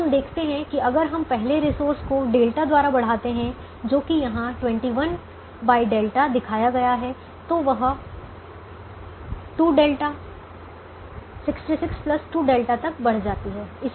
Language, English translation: Hindi, so we realize that if we increase the first resource by delta, which is shown here, twenty one by delta, the thing goes up by two delta: sixty six plus two delta